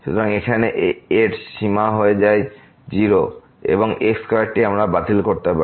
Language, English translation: Bengali, So, here the limit goes to and this is square we can cancel out